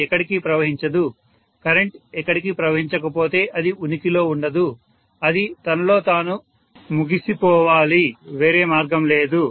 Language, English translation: Telugu, It cannot flow anywhere, if the current cannot flow anywhere it has to cease to exist, it has to kill itself there is no other way